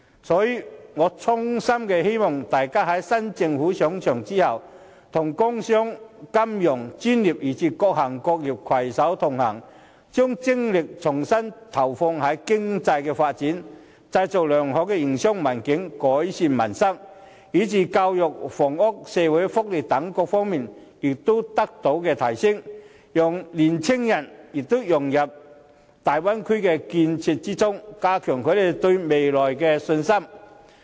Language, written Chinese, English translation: Cantonese, 所以，我衷心希望大家在新政府上場後，與工商、金融專業，以至各行各業攜手同行，把精力重新投放在經濟發展，製造良好營商環境，改善民生上，使教育、房屋及社會福利等各方面得到提升，讓青年人融入粵港澳大灣區的建設中，加強他們對未來的信心。, Hence I sincerely hope that after the inauguration of the new Government all Members will redirect their energy to the economic development and join hands with the industrial and commercial sectors the financial profession and various trades and industries to create a favourable business environment improve peoples livelihood enhance the policies on education housing and social welfare allow young people to participate in the development of the Guangdong - Hong Kong - Macao Bay Area and have a greater confidence in the future